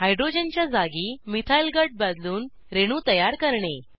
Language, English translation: Marathi, * Build molecules by substituting hydrogen with a Methyl group